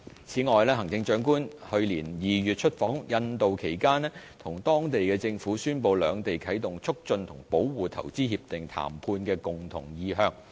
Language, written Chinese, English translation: Cantonese, 此外，行政長官在去年2月出訪印度期間，與當地政府宣布兩地啟動投資協定談判的共同意向。, Moreover in his official visit to India in February 2016 the Chief Executive announced the mutual intention of the SAR Government and the Indian local government to initiate an IPPA negotiation